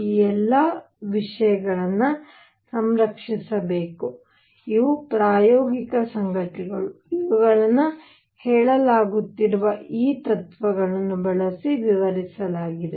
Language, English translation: Kannada, All these things should be preserved these are experimental facts, which were explained using these principles which are being stated